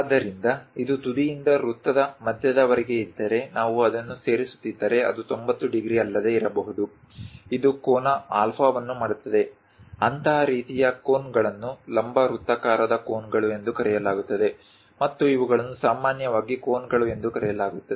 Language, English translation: Kannada, So, this one if from apex all the way to centre of the circle, if we are joining that may not be 90 degrees; it makes an angle alpha, such kind of cones are called right circular cones, and these are generally named as cones